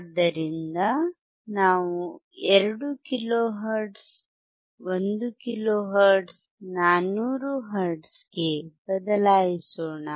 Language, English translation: Kannada, So, let us change to 2 kilo hertz, 1 kilo hertz, 1 kilo hertz, 400 hertz, ok